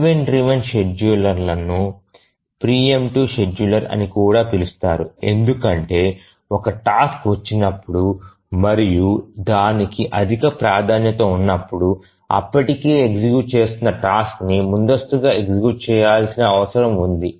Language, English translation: Telugu, So, the event driven schedulers are also called as preemptive schedulers because whenever a task arrives and it has a higher priority then the task that's already executing needs to be preempted